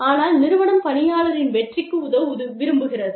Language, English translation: Tamil, But, the organization, wants to help the employee, succeed